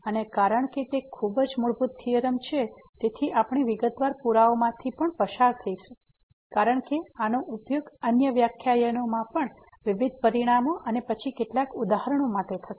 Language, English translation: Gujarati, And since it is a very fundamental theorem so we will also go through the detail proof because this will be used for various other results in other lectures and then some worked examples